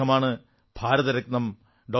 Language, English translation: Malayalam, He was Bharat Ratna Dr